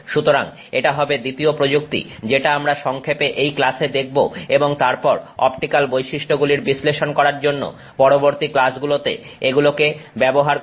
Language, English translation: Bengali, So, that will be the second technique that we will look at briefly in this class and then use it in a subsequent class for the optical property analysis